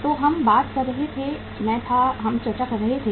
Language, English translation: Hindi, So we were talking, I was, we were discussing